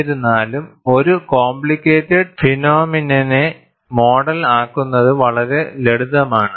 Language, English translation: Malayalam, Nevertheless, it is quite simple to model a complex phenomenon